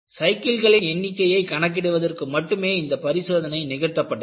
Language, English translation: Tamil, The test was performed only to record the number of cycles